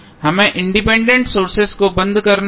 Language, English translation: Hindi, We have to simply turn off the independent sources